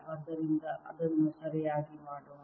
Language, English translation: Kannada, so let's do that properly